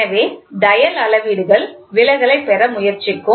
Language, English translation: Tamil, So, the dial gauges will try to get deflection